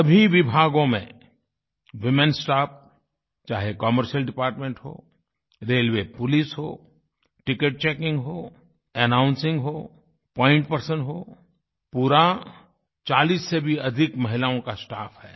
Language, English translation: Hindi, All departments have women performing duties… the commercial department, Railway Police, Ticket checking, Announcing, Point persons, it's a staff comprising over 40 women